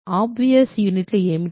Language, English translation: Telugu, What are the obvious units